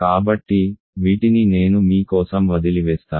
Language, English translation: Telugu, So, these I will leave for you to do